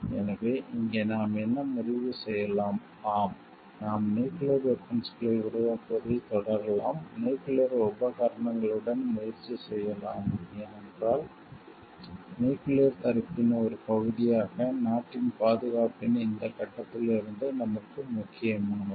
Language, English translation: Tamil, So, what we can conclude over here yes, we can continue developing nuclear weapons, we can try out with nuclear equipments, because as a part of nuclear deterrence is important to us from this point of security of the country